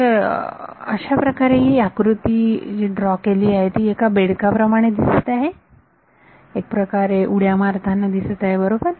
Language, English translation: Marathi, So, this the way the diagram has been drawn it looks like a frog that is leaping in some sense right